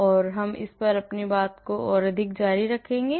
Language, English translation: Hindi, So, we will continue more on this